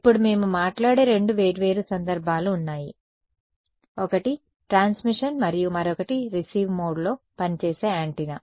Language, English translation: Telugu, Now, there are two different cases that we will talk about: one is transmission and the other is the antenna operating in receiving mode